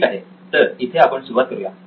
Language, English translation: Marathi, So we can start with this